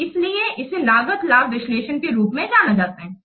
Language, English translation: Hindi, So, that's why this is known as cost benefit analysis